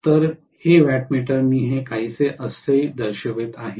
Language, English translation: Marathi, So this wattmeter I am showing it somewhat like this